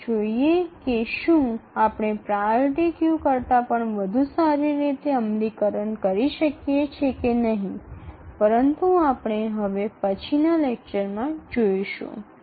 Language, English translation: Gujarati, So, let's see whether we can have a better implementation than a priority queue but that we will look at the next lecture